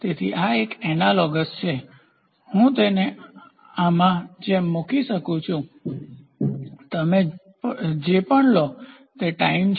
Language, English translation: Gujarati, So, so this is analogous or I can put it like this is magnitude whatever you take this is time